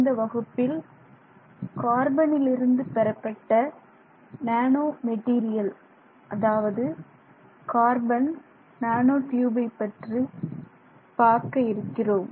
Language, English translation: Tamil, Hello, in this class we will look at one of the nanomaterials that is derived based on carbon and that is the carbon nanotube